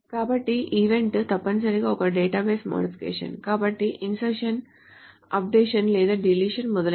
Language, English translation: Telugu, So the event is essentially a database modification, such as insertion, updates, or deletion, etc